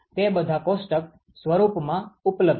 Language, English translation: Gujarati, They are all available in tabular form